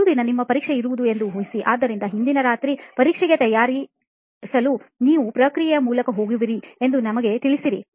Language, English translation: Kannada, Imagine you have your exam on the next day, so previous night just ready to prepare for the exam, just take us through the process